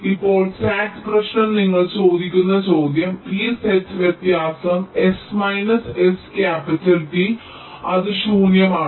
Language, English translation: Malayalam, now the sat problem, the question you ask, is that whether this set difference, s minus s capital t, is it empty